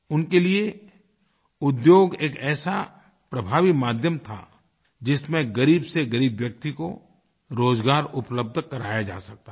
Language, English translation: Hindi, According to him the industry was an effective medium by which jobs could be made available to the poorest of the poor and the poorer